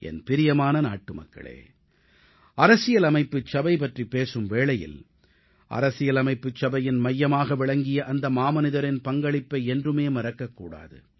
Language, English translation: Tamil, My dear countrymen, while talking about the Constituent Assembly, the contribution of that great man cannot be forgotten who played a pivotal role in the Constituent Assembly